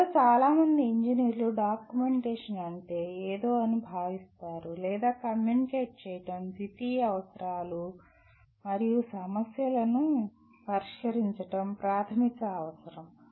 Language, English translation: Telugu, Somehow many engineers consider documentation is something or communicating is a secondary requirements and the primary requirement is to solve the problems